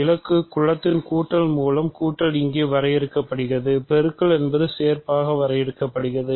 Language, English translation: Tamil, Addition is defined here by adding in the target group, multiplication is defined to be composition